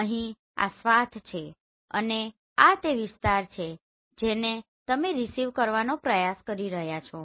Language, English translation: Gujarati, Here this is the swath and this is the area which you are trying to acquire right